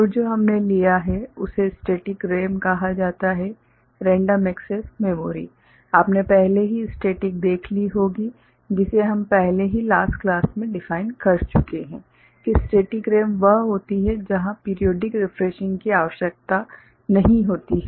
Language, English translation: Hindi, And what we have taken up is called static RAMs, Random Access Memory you have already seen static we have already defined in the last class that static RAM is the one where the periodic refreshing is not required